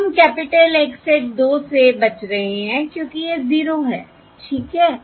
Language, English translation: Hindi, you can see We are avoiding capital X hat of 2, because that is 0 anyway